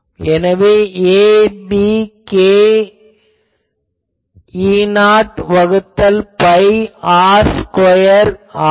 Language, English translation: Tamil, So, that will be a b k E not by 2 pi r whole square